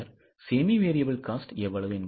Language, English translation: Tamil, Then semi variable cost, how much it is